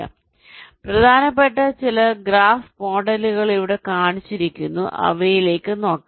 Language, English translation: Malayalam, so some of the important graph models are shown here